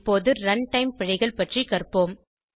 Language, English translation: Tamil, Lets now learn about runtime errors